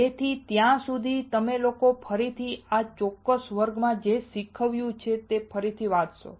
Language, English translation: Gujarati, So, till then you guys can again read whatever I have taught in this particular class